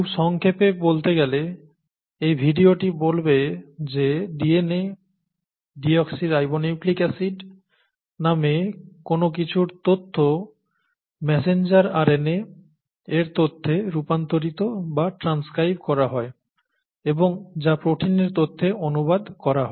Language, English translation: Bengali, Very briefly speaking, this video will say that the information in something called the DNA, deoxyribonucleic acid, gets converted or transcribed to the information in the messenger RNA and that gets translated to the information in the proteins